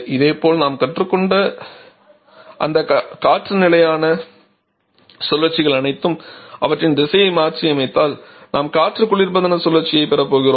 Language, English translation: Tamil, Similarly the all those air standard cycles that we have learned if we reverse the direction of them we are going to get a refrigeration cycle